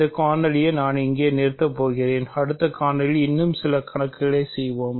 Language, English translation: Tamil, I am going to stop this video here; in the next video we will do some more problems